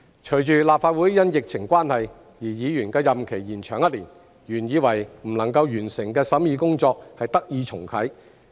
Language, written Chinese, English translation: Cantonese, 隨着立法會因疫情關係讓議員的任期延長一年，原以為不能夠完成的審議工作得以重啟。, With the extension of the term of office of Members of the Legislative Council for one year due to the epidemic the scrutiny work which I thought could not be completed could be restarted